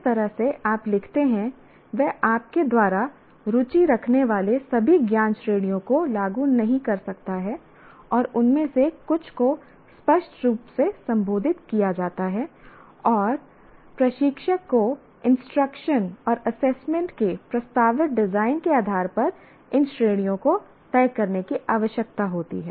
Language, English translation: Hindi, The way you write may not imply all the knowledge categories you are interested and some of them are implicitly addressed and again instructor needs to decide these categories based on proposed design of the instruction and assessment